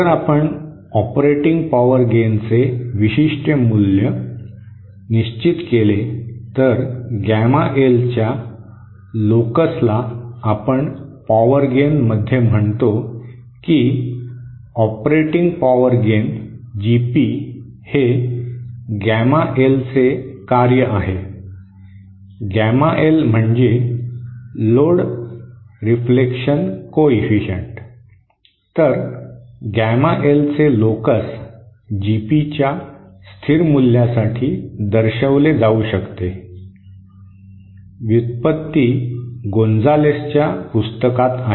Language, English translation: Marathi, Now if you fix a particular value of the operating power gain, then the locus of gamma L we call that in power gain, operating power gain GP is a function of gamma L, the load reflection coefficient then the locus of gamma L for a constant value of GP can be shown, the derivation is there in the book by Gonzales